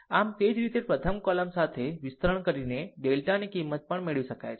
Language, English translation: Gujarati, So, similarly, your the value of delta may also be obtained by expanding along the first column